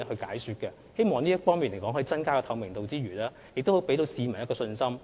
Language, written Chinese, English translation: Cantonese, 我們希望有關措施除可以增加透明度外，亦可給予市民信心。, We hope that these measures can enhance transparency and inspire public confidence